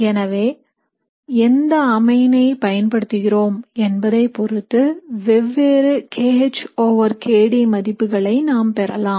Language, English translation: Tamil, So if you use one particular amine you will get a particular kH over kD value